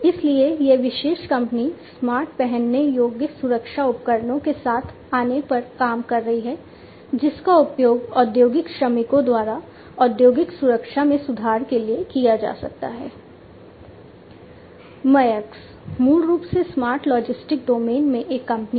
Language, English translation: Hindi, So, this particular company is working on coming up with smart wearable safety gadgets, which can be used by the industrial workers to improve upon the industrial safety